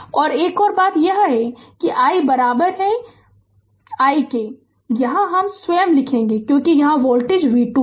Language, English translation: Hindi, And another thing is this i i is equal to this i is equal to writing here itself, because voltage here is v 2